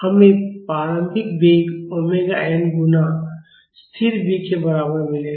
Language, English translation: Hindi, We will get the initial velocity is equal to omega n multiplied by constant B